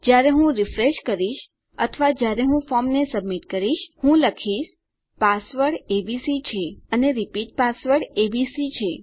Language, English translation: Gujarati, When I go to refresh or rather when I go to submit my form, I will say my password is abc and my repeat password is abc